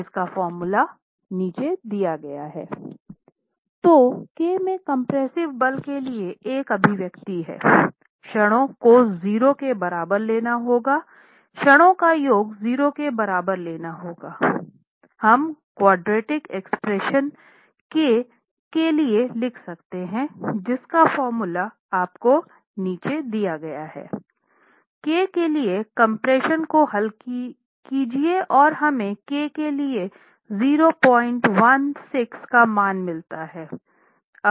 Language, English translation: Hindi, 1 so we have an expression for the compressive force in k taking the moments to be equal to 0, taking the sum of moments is equal to 0, we can write down the quadratic expression in K